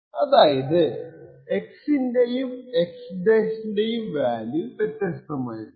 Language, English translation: Malayalam, So, what we identify is that the value of x and x~ is going to be different